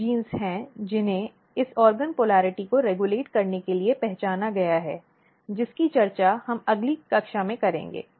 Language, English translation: Hindi, There are some of the genes which has been identified to regulate this organ polarity we will discuss in the next class